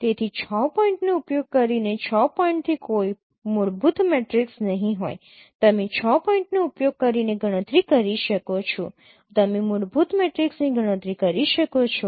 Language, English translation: Gujarati, So using the six point, no fundamental matrix from six points you can compute using these six points you can compute fundamental matrix